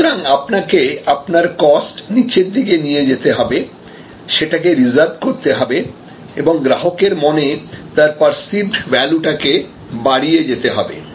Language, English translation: Bengali, So, you have to manage your cost constantly downwards and you have to reserve your costs and you have to constantly manage for enhancing the perceived value in the mind of the customer